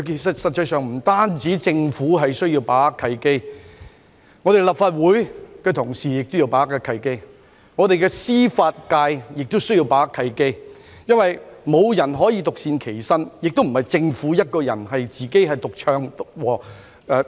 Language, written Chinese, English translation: Cantonese, 實際上，不單政府需要把握契機，連立法會議員以至本港的司法界亦需要把握契機，因為無人可以獨善其身，政府亦不能獨唱獨和。, Actually not only the Government but also Members of the Legislative Council and the judicial sector need to seize the opportunities because nobody can stay aloof and even the Government cannot possibly act as a one - man band